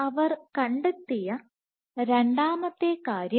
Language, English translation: Malayalam, Second point what they found